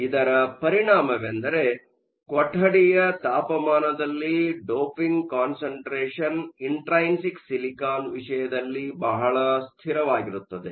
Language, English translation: Kannada, The corollary of this is that at room temperature your doping concentrations are inherently very stable in the case of silicon